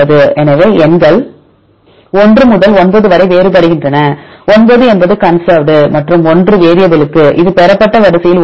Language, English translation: Tamil, So, numbers varies where from 1 to 9; 9 is for conserved and 1 is for the variable this is a position in the derived sequence